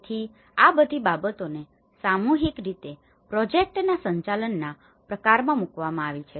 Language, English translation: Gujarati, So, all these things collectively put into the kind of management of the project